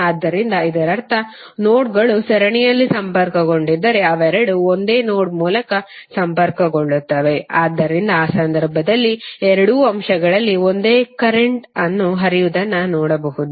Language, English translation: Kannada, So it means that if the nodes are connected in series then they both elements will connected through one single node, So in that case you have the same current flowing in the both of the elements